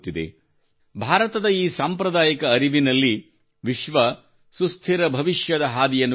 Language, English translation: Kannada, In this traditional knowledge of India, the world is looking at ways of a sustainable future